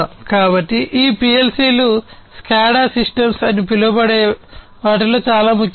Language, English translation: Telugu, So, these PLC’s are very important in something known as the SCADA, SCADA systems, right